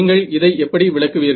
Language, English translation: Tamil, So, how do you interpret this